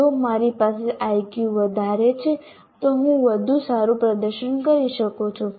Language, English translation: Gujarati, If I have higher Q, I am likely to get, I am likely to perform better